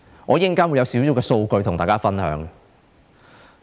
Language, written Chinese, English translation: Cantonese, 我稍後會有少許數據與大家分享。, I will later share some data with Members